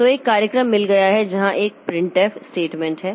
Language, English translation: Hindi, So, we have got a piece of program where there is a printf statement